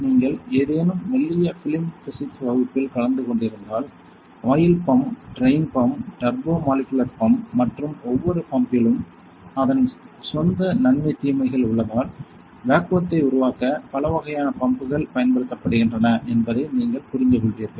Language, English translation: Tamil, If you have attended any thin film physics class; then you will understand that there are several kinds of pumps that are used to create vacuum including oil pump, get drain pump, turbo molecular pump and as each pump has its own pros and cons